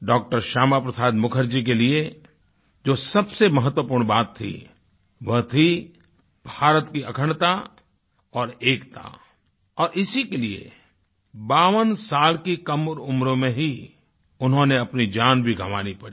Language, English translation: Hindi, Shyama Prasad Mukherjee, the most important thing was the integrity and unity of India and for this, at the young age of 52, he also sacrificed his life